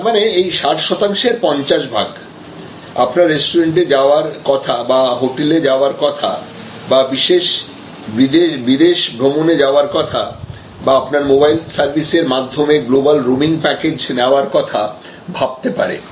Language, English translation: Bengali, So, 50 percent of this 60 percent may consider going to your restaurant, going to your hotel, taking that particular foreign travel, global roaming package from your mobile service, etcetera